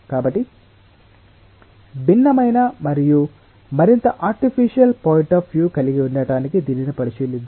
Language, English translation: Telugu, so to have a different and may be a more artificial point of view, let us look in to this